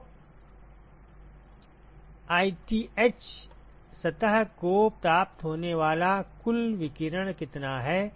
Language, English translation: Hindi, So, what is the total irradiation that is received by ith surface